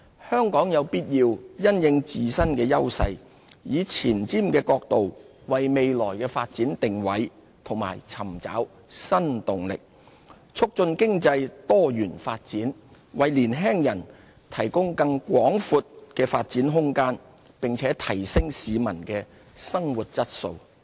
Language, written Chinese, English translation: Cantonese, 香港有必要因應自身優勢，以前瞻角度，為未來發展定位和尋找新動力，促進經濟多元，為年輕人提供更廣闊的發展空間，並提升市民的生活質素。, We must leverage our strength and take a forward - looking approach in positioning our future development and seeking new impetus . This will enable our economy to grow in a diversified manner provide our young people with more room for development and improve peoples quality of life